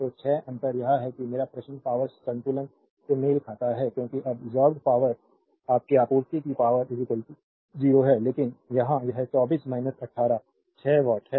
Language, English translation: Hindi, So, 6 difference is there my question is to you power balance has to be matched because absorbed power plus your supplied power is equal to 0, but here it is 24 minus 18, 6 watt